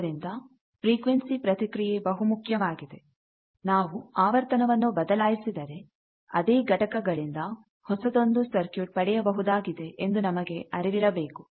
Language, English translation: Kannada, So, frequency response is an important thing and always you should be aware that if you change the frequency a new whole new circuit from the same components you can get